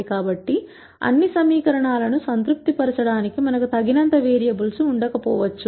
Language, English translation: Telugu, So, we might not have enough variables to satisfy all the equations